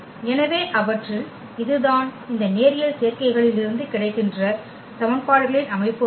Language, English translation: Tamil, So, out of those that is system of equations here from this linear combinations